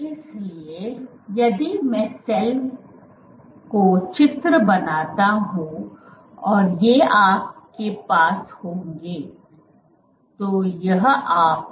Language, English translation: Hindi, So, if I draw the cell and you have these ok